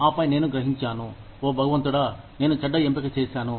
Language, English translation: Telugu, And then, I realize, oh my god, I made a bad choice